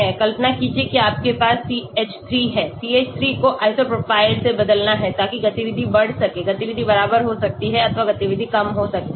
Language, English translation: Hindi, imagine you have a CH3 replace the CH3 with iso propyl so activity can increase, activity can be equal or activity can be less